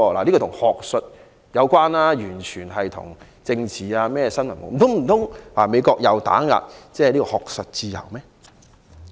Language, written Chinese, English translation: Cantonese, 這與學術有關，完全與政治無關，難道美國又打壓學術自由？, Since this was related to academic studies and unrelated to politics was the United States suppressing academic freedom?